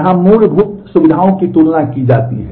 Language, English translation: Hindi, The basic features are compared to here